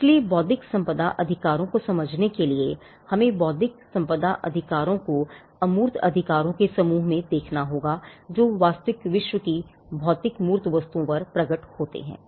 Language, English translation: Hindi, So, to understand into intellectual property rights, we will have to look at intellectual property rights as a set of intangible rights which manifest on real world physical tangible goods